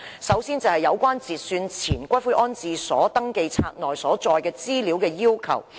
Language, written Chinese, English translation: Cantonese, 首先，我要談談有關截算前骨灰安置所登記冊內所載資料的要求。, First of all I wish to talk about the requirements for the information to be contained in the registers of pre - cut - off columbaria